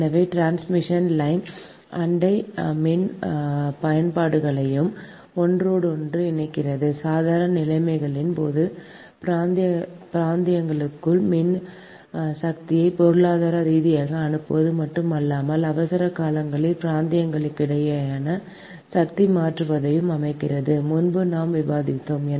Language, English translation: Tamil, right, so transmission line also interconnect neighboring power utilities just we have discussed before right, which allows not only economic dispatch of electrical power within regions during normal conditions, but also transfer of power between regions during emergencies, right